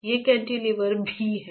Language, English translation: Hindi, They are also cantilevers